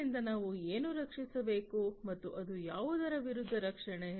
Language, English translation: Kannada, So, what should we protect and it is protection against what